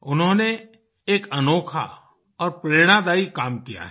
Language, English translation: Hindi, He has done an exemplary and an inspiring piece of work